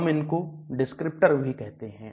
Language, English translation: Hindi, We also call descriptors